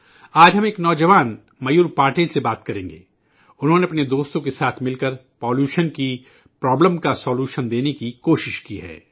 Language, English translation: Urdu, Today we will talk to a young Mayur Patil, he along with his friends have tried to put forward a solution to the problem of pollution